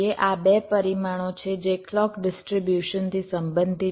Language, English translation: Gujarati, these are two parameters which relate to clock distribution